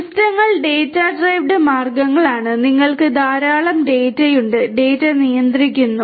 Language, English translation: Malayalam, Systems are data driven means like you know you are; you have lot of data and data is controlling